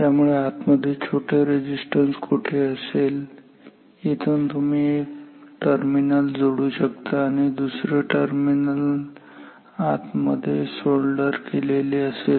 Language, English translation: Marathi, So, where this is the small resistance inside, from this here you connect 1 terminal here you connect another terminal another lid and this is soldered inside